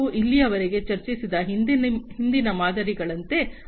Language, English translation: Kannada, So, like the previous models that we have discussed so far